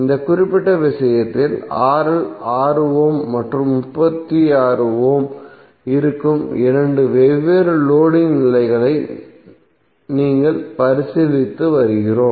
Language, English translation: Tamil, So for this particular case we are considering two different loading conditions where RL is 6 ohm and 36 ohm